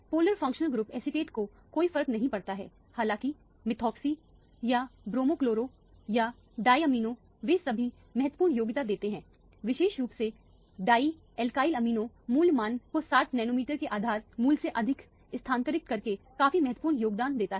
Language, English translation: Hindi, Polar functional group acetate does not make any difference; however, methoxy or bromochloro or diamino they all contributes significantly, particularly the dye alkylamino contributes quite significantly by shifting the value by 60 nanometers more than the base value for example